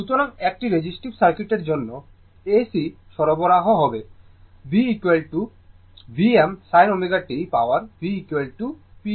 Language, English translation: Bengali, So, for resistive circuit with AC supply V is equal to V m sin omega t power is equal to V is equal to p is equal to v i